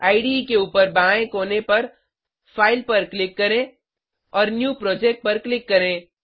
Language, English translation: Hindi, On the top left corner of the IDE, Click on File and click on New Project